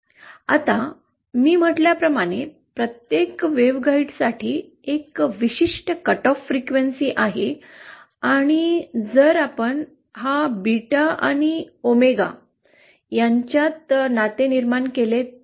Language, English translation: Marathi, Now, if we as I said, there is a certain cut off frequency for each waveguide, and if we draw a relationship between this beta and omega